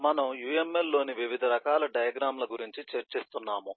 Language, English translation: Telugu, we have been discussing about variety of uml diagrams and eh